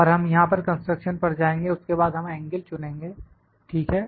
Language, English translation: Hindi, And will go to construction here then will select the angle, ok